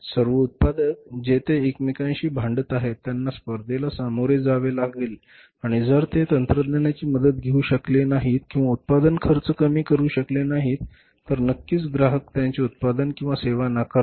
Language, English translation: Marathi, All manufacturers they are say fighting with each other they have to face the competition and if they are not able to take the help of the technology reduce the cost of production then certainly the customers would reject their product or the service